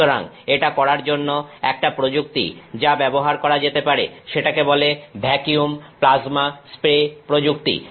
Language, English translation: Bengali, So, one of the techniques that can be used to do this is called a vacuum plasma spray technique